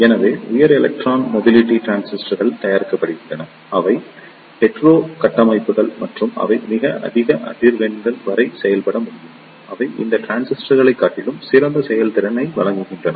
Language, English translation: Tamil, So, the High Electron Mobility Transistors are made, they are the hetero structures and they can operate up to very high frequencies, they provide better performance over these transistors